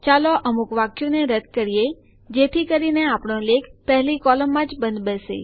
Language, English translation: Gujarati, Let us delete some sentences so that our article fits in the first column only